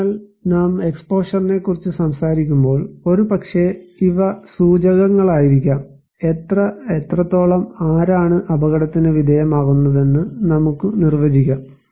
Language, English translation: Malayalam, So, when we are talking about exposure, maybe these are indicators, we can define how many, what extent, who are exposed